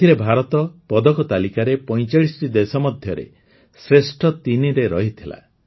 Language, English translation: Odia, In this, India remained in the top three in the medal tally among 45 countries